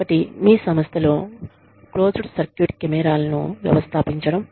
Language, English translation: Telugu, One is, installing closed circuit cameras, in your organization